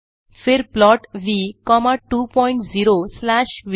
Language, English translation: Hindi, Then plot V comma 2 point 0 slash V